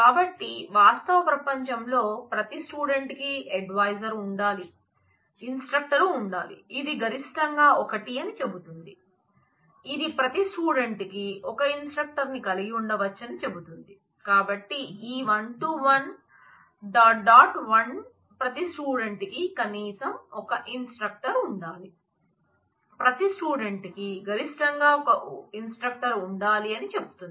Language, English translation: Telugu, So, this one to one one, dot dot one says that every student must have at least one instructor, every student must have at most one instructor